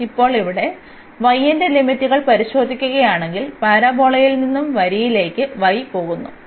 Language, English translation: Malayalam, So now, here if we look at the limits for y; so, y goes from the parabola to the line